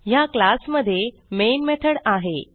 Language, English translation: Marathi, In this class I have the main method